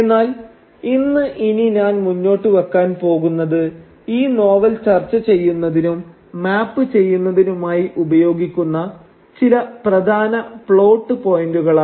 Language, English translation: Malayalam, But what I am going to put forward today is a few salient plot points which we will use to map this novel and to discuss this novel